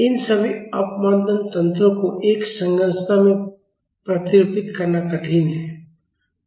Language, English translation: Hindi, It is difficult to model all these damping mechanisms in a structure